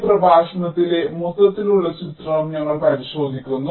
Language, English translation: Malayalam, so we look at into the overall picture in this lecture